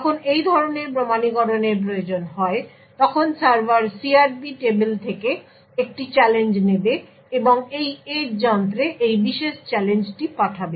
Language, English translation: Bengali, When such authentication is required, the server would pick up a challenge from the CRP table and send this particular challenge to this edge device